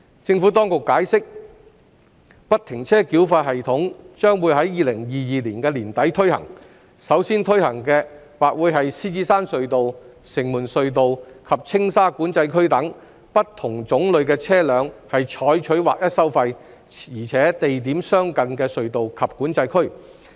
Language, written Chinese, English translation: Cantonese, 政府當局解釋，不停車繳費系統將於2022年年底推行，首先推行的或會是獅子山隧道、城門隧道及青沙管制區等對不同種類的車輛採取劃一收費、且地點相近的隧道及管制區。, The Administration has explained that FFTS will be implemented at the tolled tunnels starting from the end of 2022 and it may first be implemented at the Lion Rock Tunnel Shing Mun Tunnels and Tsing Sha Control Area TSCA which charge flat tolls for different classes of vehicles and are in geographical proximity